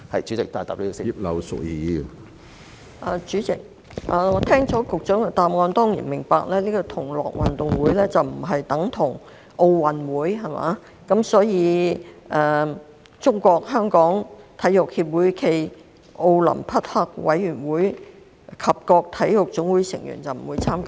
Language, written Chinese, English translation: Cantonese, 主席，聽罷局長的答覆，我當然明白同樂運動會並不等同奧運會，所以中國香港體育協會暨奧林匹克委員會及各體育總會成員不會參與。, President after listening to the Secretarys reply I certainly understand that GG2022 is not equated with the Olympic Games and that is why neither SFOC nor NSAs will take part